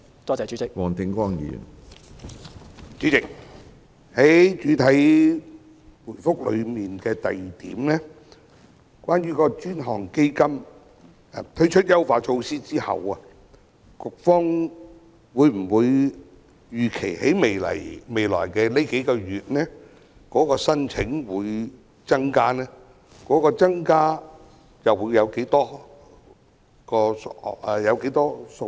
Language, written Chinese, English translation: Cantonese, 主席，主體答覆第二部分提及政府已為 BUD 專項基金推出優化措施，局方預期未來數個月的申請宗數會否增加；如會，增加的宗數會是多少？, President part 2 of the main reply mentions that the Government has launched enhancement measures to the BUD Fund has the Policy Bureau estimated whether there will be an increase in the number of applications in the next few months; if so what is the number?